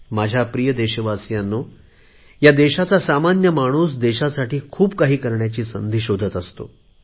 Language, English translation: Marathi, My dear countrymen, the common man of this country is always looking for a chance to do something for the country